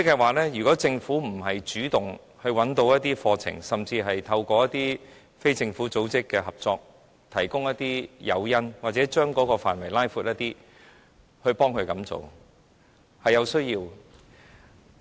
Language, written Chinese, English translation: Cantonese, 換言之，政府應主動找一些課程，甚至透過與非政府組織的合作，提供一些誘因或擴闊有關的範圍，這是有需要的。, In other words the Government should initiate a search for some courses or even provide some incentives or expand the relevant scope through cooperation with non - governmental organizations . This is necessary